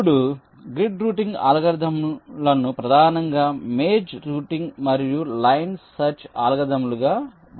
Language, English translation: Telugu, ok, now grid working algorithms mainly can be classified as maze routing and line search algorithms, as we shall see